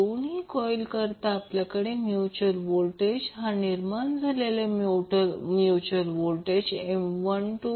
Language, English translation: Marathi, So for coil two, we will have the mutual voltage and a mutual induced voltage M 12 di 2 by dt